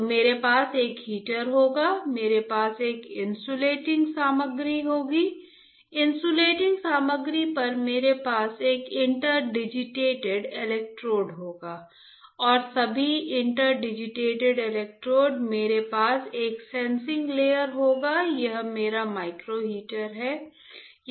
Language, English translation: Hindi, So, I will have a heater; I will have a heater or heater I will have an insulating material, on insulating material I will have an inter digitated electrodes and all inter digital electrodes I will have a sensing layer reward it this is my micro heater